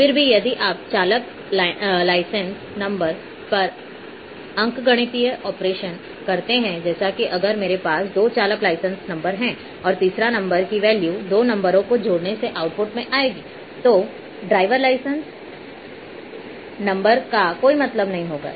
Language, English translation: Hindi, Even then if you perform arithmetic operations on say drivers' license number like if I had two driver license number and the third one will there the output for the value which will come through the addition of to drive driving license number will not carry any meaning